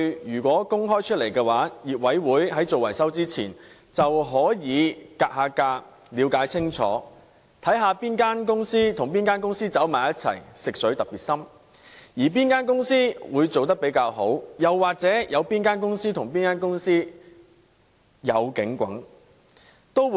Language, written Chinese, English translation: Cantonese, 如果可以公開這些數據，業委會在進行維修前便能"格價"，了解清楚，看看哪間公司與哪間公司聯合一起或"食水"特別深，或哪間公司做得特別好，又或哪間公司與哪間公司有可疑的關係。, With the opening up of such information the owners committees can make a price comparison prior to the maintenance works and better understand the details thus enabling them to find out which companies are in collaboration or which companies are asking excessively high prices or which companies have shown particularly good performance or which companies are in a dubious relationship